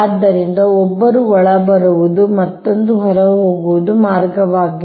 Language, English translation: Kannada, so one is incoming, another is outgoing path